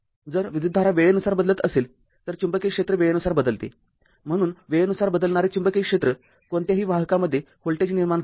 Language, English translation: Marathi, If the current is varying with time that you know then the magnetic field is varying with time right, so a time varying magnetic field induces a voltage in any conductor linked by the field this you know